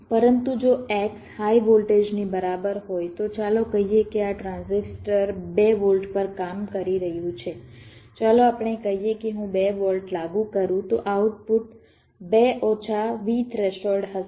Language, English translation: Gujarati, but if x equals to high voltage, lets see, lets say this transistor is working at two volts, lets say i apply two volts, then the output will be two minus v threshold